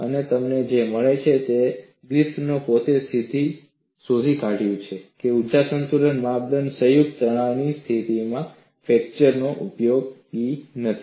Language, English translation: Gujarati, And what you find is Griffith himself found that the energy balance criterion was not useful for fracture under combined stress conditions